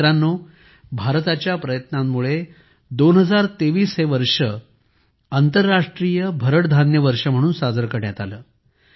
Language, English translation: Marathi, Friends, through India's efforts, 2023 was celebrated as International Year of Millets